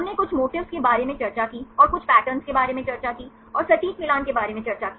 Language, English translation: Hindi, We discussed about some motifs, and discussed about some patterns,and discussed about the exact match